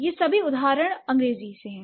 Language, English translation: Hindi, These are all English examples